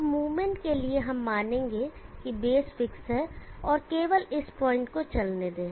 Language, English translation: Hindi, Now for the movement consider the base is fixed, and let only this point move